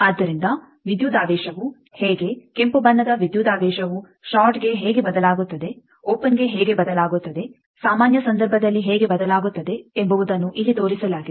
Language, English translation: Kannada, So, this is shown here that how the voltage the red colored one voltage varies for a shorted one how it varies for open one, how it varies in the general case this we have already seen